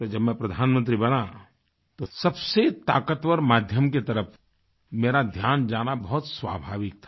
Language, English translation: Hindi, Hence when I became the Prime Minister, it was natural for me to turn towards a strong, effective medium